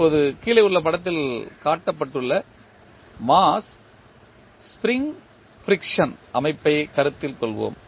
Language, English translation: Tamil, Now, let us consider the mass spring friction system which is shown in the figure below